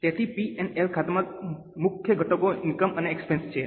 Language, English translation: Gujarati, So, the major components of PNL account are incomes and expenses